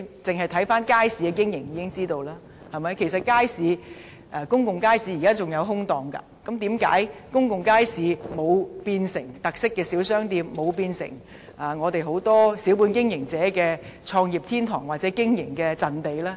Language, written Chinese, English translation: Cantonese, 大家從街市的經營情況便知，這些公眾街市仍有空置檔位，但為何公眾街市沒有變成特色小商店或小本經營者的創業天堂或經營陣地呢？, Members should have learnt that from the operation of wet markets . There are still vacant stalls in certain public markets but why have not these public markets been developed into a paradise for starting special small shops or small businesses or the operation base of these shops?